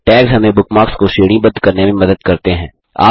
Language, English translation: Hindi, * Tags help us categorize bookmarks